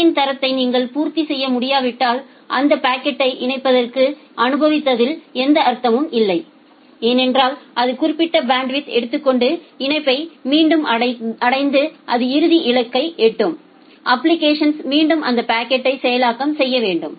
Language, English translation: Tamil, If you are not able to satisfy the quality of service then there is no meaning to send that packet unnecessary to the link, because it will again clog the link it will take certain bandwidth, it will reach at the final destination, the application again need to process that packet